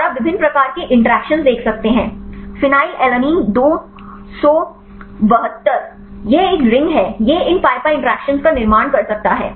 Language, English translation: Hindi, And you can see the different types of interactions; you can see the hydrogen bonds, you can see the hydrophobic interactions see; phenylalanine 272, this is a ring; this can form these pi pi interactions